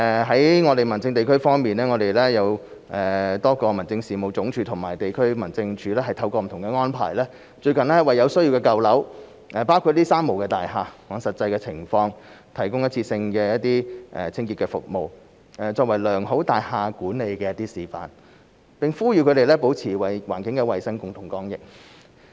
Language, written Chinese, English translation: Cantonese, 在民政事務局方面，民政事務總署及多個地區民政事務處透過不同安排，最近為有需要的舊樓，包括"三無大廈"，按實際情況，提供一次性的清潔服務，作為良好大廈管理的示範，並呼籲他們保持環境衞生，共同抗疫。, As far as the Home Affairs Bureau is concerned the Home Affairs Department and various District Offices have recently provided in the light of actual conditions old buildings in need including three - nil buildings with one - off cleaning service through various arrangements with a view to demonstrating good building management . We also call upon them to maintain environmental hygiene and fight the pandemic together